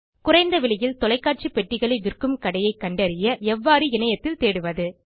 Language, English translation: Tamil, How to do web search to locate the shop that sells Tvs at the lowest price